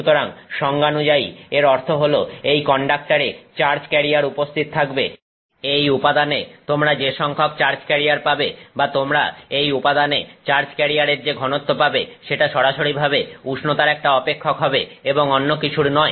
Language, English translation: Bengali, So, by definition this means the charge carriers present in this conductor, the number of charge carriers that you have in this material or the density of charge carriers that you have in this material will be a direct function of the temperature and nothing else